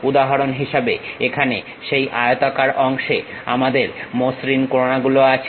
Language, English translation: Bengali, For example, here that rectangular portion we have a smooth corners